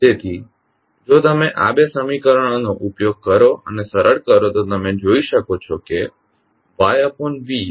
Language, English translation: Gujarati, So, if you use these 2 equations and simplify you can see that Ys upon Xs is nothing but F1s into F2s